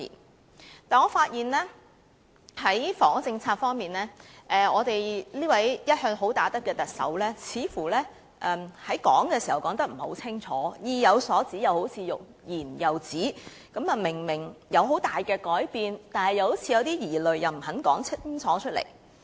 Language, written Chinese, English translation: Cantonese, 不過，我發現在房屋政策方面，我們這位一向"好打得"的特首似乎說得不夠清楚，好像意有所指，卻欲言又止，明明會有很大的改變，卻又似有疑慮，不肯說清楚。, However I found that on the housing policy it seems our Chief Executive who is always a good fighter did not speak clear enough . It seems there was something she wished to say but then she hesitated . There would obviously be a great change yet she seemed to hold some doubts and refused to make it clear